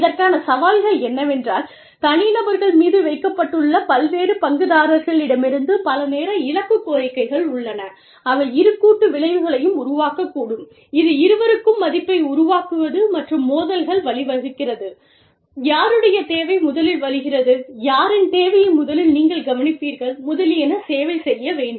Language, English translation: Tamil, The challenges to this are, that there are multiple time target demands, from various stakeholders, placed on the individuals, which may create both synergies, which is creation of value for both, and conflicts, whose need comes first, whose need do you need to service first, etcetera